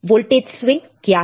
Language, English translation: Hindi, What is voltage swing